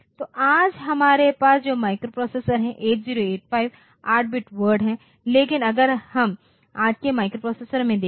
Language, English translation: Hindi, So, today the microprocessors that we have, 8085 is 8 bit word, but if we look into today’s microprocessors